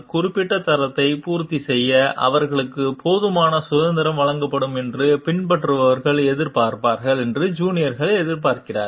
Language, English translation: Tamil, The juniors also will expect the followers also will expect like they are given enough resources they are given enough freedom to perform to meet the particular standard